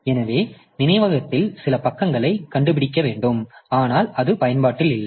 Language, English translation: Tamil, So, find some page in memory but which is ideally that is not really in use